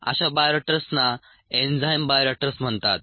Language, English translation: Marathi, such bioreactors are called enzyme bioreactors